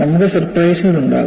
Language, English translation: Malayalam, You will have surprises